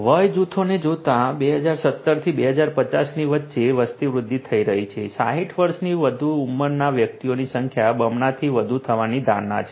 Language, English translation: Gujarati, Looking at the age groups populations are growing older, between 2017 to 2050; 2017 to 2050, the persons aged 60 years over are expected to increase more than double